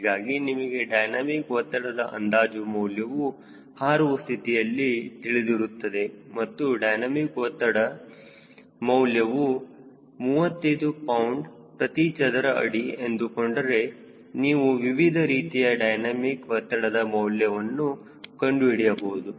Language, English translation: Kannada, so you have enough idea of what sort of dynamic pressure because you are going to fly and lets say that pressure is thirty five pound per feet square, you can generate numbers for various dynamic pressure